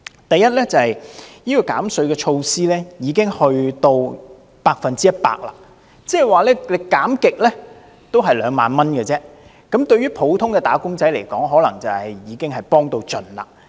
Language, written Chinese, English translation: Cantonese, 第一，減稅措施已經達到百分之一百，即是怎樣減也只是兩萬元而已，對普通"打工仔"來說，可能已經是幫到盡。, Firstly when the rate of tax concessions has already gone up to 100 % it means that whatever the amount of tax is 20,000 remains the highest amount to be rebated